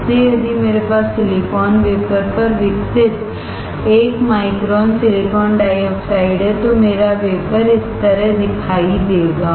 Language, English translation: Hindi, So if I have a 1 micron silicon dioxide grown on the silicon wafer, my wafer will look like this